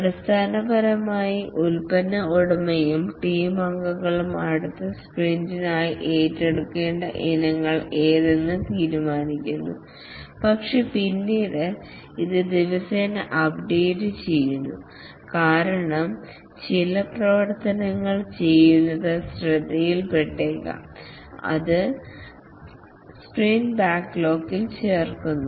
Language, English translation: Malayalam, Basically, the product owner along with the team members decide what are the items to take up for the next sprint, but then it is updated daily because some activities may be noticed to be done and that is added to the sprint backlog